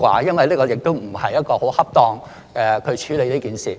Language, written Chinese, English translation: Cantonese, 因為這亦不是一種很恰當的處理方法。, It is not an appropriate way of handling the matter